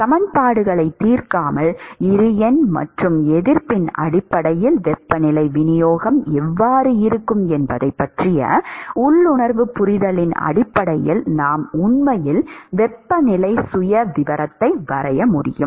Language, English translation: Tamil, Without solving the equations, simply based on the intuitive understanding of how the temperature distribution is going to be based on the Bi number and resistances, we are able to actually sketch the temperature profile